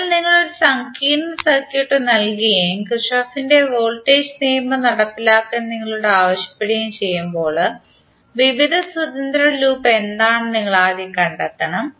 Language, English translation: Malayalam, So when you have given a complex circuit and you are asked to execute the Kirchhoff’s voltage law, then you have to first find out what are the various independent loop